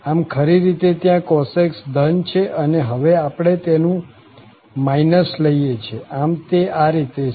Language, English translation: Gujarati, So, the cos x is usually positive there and we are taking now the minus of it, so it will go in this way